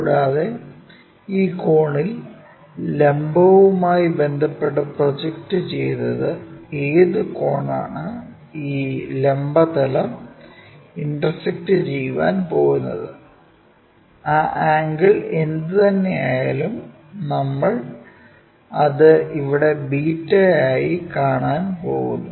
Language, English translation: Malayalam, And, this angle the projected one with respect to vertical whatever the angle is going to intersect this vertical plane, whatever that angle we are going to see that we will see it here as beta